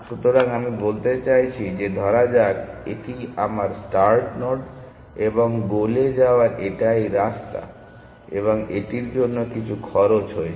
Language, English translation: Bengali, So, what I am saying I am saying that let us say this is my start node, and this is my paths to the goal it has some cost essentially